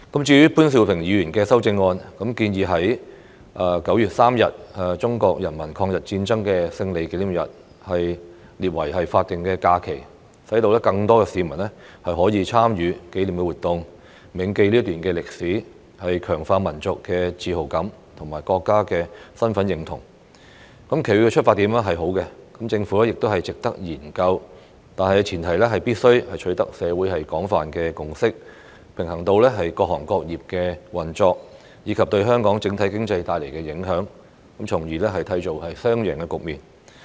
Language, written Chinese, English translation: Cantonese, 至於潘兆平議員的修正案建議將9月3日中國人民抗日戰爭勝利紀念日列為法定假期，讓更多市民可以參與紀念活動，銘記這段歷史，強化民族自豪感及國民身份認同，其出發點是好的，值得政府研究，但前提是必須取得社會的廣泛共識，平衡到各行各業的運作，以及對香港整體經濟帶來的影響，從而締造雙贏局面。, As for Mr POON Siu - pings amendment it proposes to designate 3 September as a statutory holiday to commemorate the Victory Day of the Chinese Peoples War of Resistance against Japanese Aggression so that more people can take part in relevant commemorative activities and remember the history thereby reinforcing their sense of national pride and national identity . The proposal is well - intentioned and worthy of the Governments consideration . However the premise is that a general consensus must be reached in the community striking a balance between the operation of various trades and industries and the impact on the overall economy of Hong Kong so that it will create a win - win situation